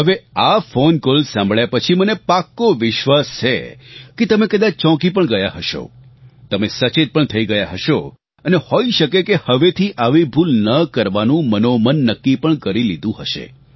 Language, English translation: Gujarati, Now after listening to this phone call, I am certain that you would have been shocked and awakened and would probably have resolved not to repeat such a mistake